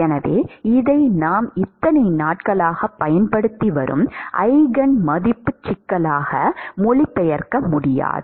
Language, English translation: Tamil, So, this cannot be translated into a eigen value problem that we have been using all these days, right